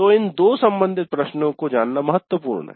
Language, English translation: Hindi, So it is important to know these two related questions